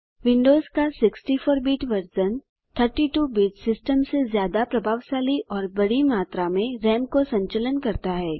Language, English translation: Hindi, The 64 bit version of Windows handles large amounts RAM more effectively than a 32 bit system